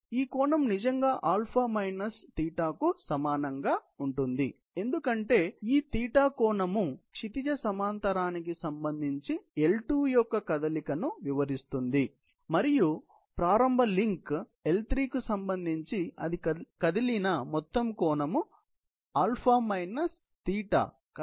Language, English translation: Telugu, So, this angle really becomes equal to , because θ is this angle which is describing the motion of L2 with respect to the horizontal and the total angle that it has moved with respect to the initial link L2 is basically α